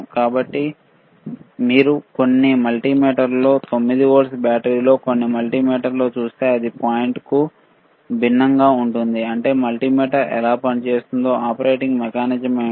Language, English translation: Telugu, So, if you see in some multimeters 9 volt battery some multimeter it is different the point is, what is the operating mechanism how multimeter operates